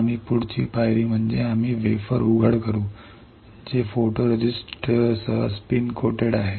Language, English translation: Marathi, We will next step is we will expose wafer, which is spin coated with photoresist